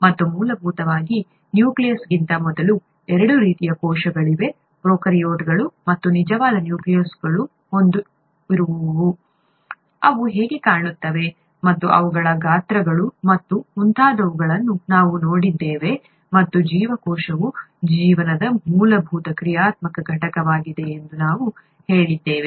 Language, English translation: Kannada, And basically, there are two types of cells, prokaryotes, before nucleus, and the ones with a true nucleus, we saw how they looked, and their sizes and so on and we also said that cell is the fundamental functional unit of life